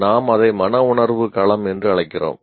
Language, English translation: Tamil, We called it affective domain